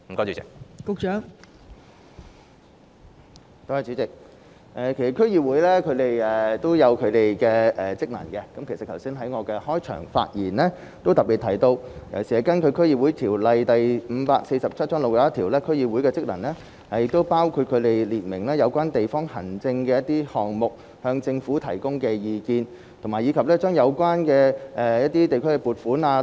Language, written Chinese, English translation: Cantonese, 代理主席，區議會有其職能，而我剛才在開場發言中也特別提到，根據《區議會條例》第61條，區議會的職能包括就相關地方的指定事務向政府提供意見，以及善用有關的地區撥款。, Deputy President DCs have their own functions . As highlighted in my opening remarks just now according to section 61 of DCO Cap . 547 the functions of DCs include advising the Government on specific local affairs and making proper use of the relevant funding for the districts